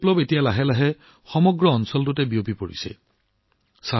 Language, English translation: Assamese, This football revolution is now slowly spreading in the entire region